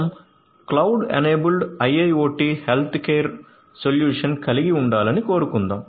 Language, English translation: Telugu, Let us say that we want to have a cloud enabled IIoT healthcare care solution